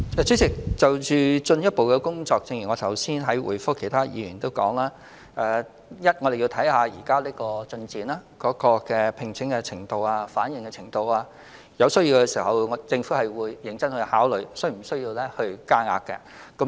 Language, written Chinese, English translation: Cantonese, 主席，就進一步的工作，正如我剛才回覆其他議員的補充質詢時提到，我們會按照形勢發展、招聘情況和反應，在有需要時認真考慮是否增加名額。, President regarding the next steps as mentioned in my reply to the supplementary questions raised by other Members just now we will carefully consider increasing the quota when necessary in the light of the development recruitment situation and response